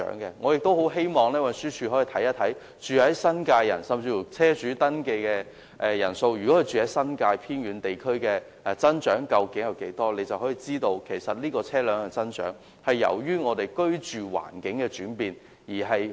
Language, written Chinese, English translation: Cantonese, 我很希望運輸署可以看看，居住在新界的居民，甚至居住在新界偏遠地區的車主登記人數增長率，便可以知道車輛大幅增長是由於我們的居住環境轉變。, I hope the Transport Department can look into the increase rate of vehicle registration by people living in New Territories or in the remote districts of New Territories so that it will see that the large increase in vehicles is caused by the change in our living environment . Certainly as the Secretary has said people tend to buy cars if they do not have the money to buy property . This is true